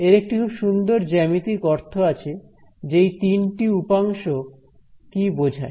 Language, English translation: Bengali, Now there are some very beautiful geometric meanings of what these quantities are